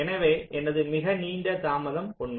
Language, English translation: Tamil, so my longest delay is true